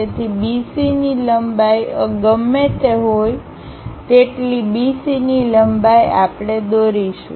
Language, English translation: Gujarati, So, whatever the B C length is there the same B C length we will draw it